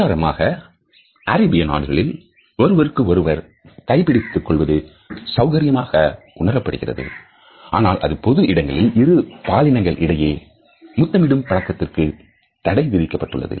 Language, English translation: Tamil, For example, in the Arab world it is comfortable for men to hold the hands of each other or to kiss them in public a cross gender touch is absolutely prohibited